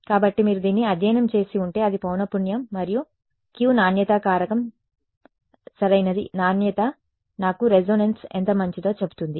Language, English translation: Telugu, So, that is the frequency and the Q the quality factor right that tells me if you have studied this before the quality tells me how good the resonance is